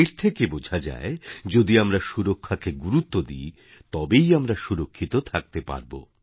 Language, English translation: Bengali, This proves that if we accord priority to safety, we can actually attain safety